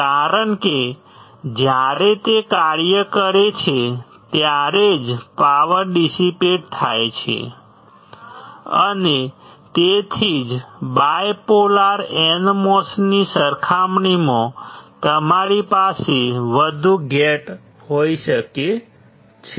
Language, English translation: Gujarati, Because only when it operates then only the power is dissipated and that is why you can have more gates compared to bipolar NMOS